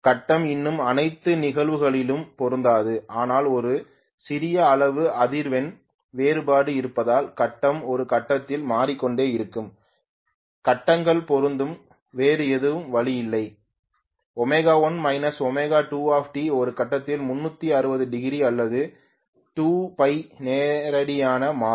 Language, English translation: Tamil, Phase will not still match in all probability but because there is a small amount of frequency difference, the phase keeps on changing at some point the phases will match there is no other way, omega 1 minus omega 2T times T will become 360 degrees or 2 Pi radiant at some point